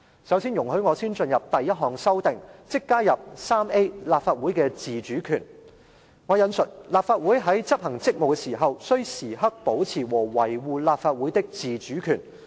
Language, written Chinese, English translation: Cantonese, 首先，我進入第一項修訂，即加入第 3A 條"立法會的自主權"，"立法會主席在執行職務時，須時刻保持和維護立法會的自主權"。, First I will come to my first amendment that is to add Rule 3A Autonomy of the Council and I quote The President in discharging of his duties shall preserve and defend the autonomy of the Legislative Council at all times